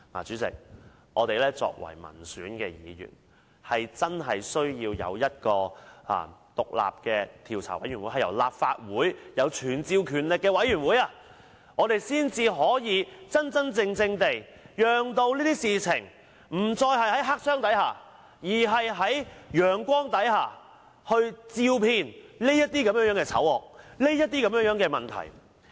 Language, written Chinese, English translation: Cantonese, 主席，作為民選議員，我們真的需要在立法會成立一個有傳召權力的獨立專責委員會，才能真正令這種事情不再在黑箱內發生，並用陽光照遍這種醜惡和問題。, President as popularly elected Members we really need to set up in the Legislative Council an independent select committee with the power to summon witnesses in order to truly prevent such things from happening in the black box again and to expose such evil deeds and problems under the sun